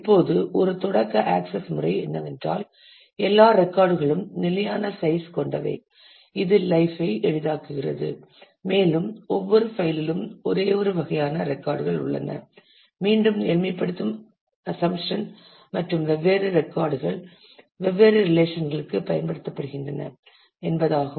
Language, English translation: Tamil, Now, one starting approach could be we can assume that all records are of fixed size which makes a life easier and each file has records of only one type again a simplifying assumption and different files are used for different relations